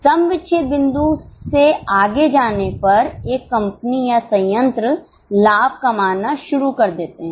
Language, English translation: Hindi, Beyond break even point, a company or a plant starts making profit